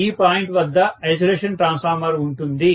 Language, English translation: Telugu, There will be an isolation transformer at this point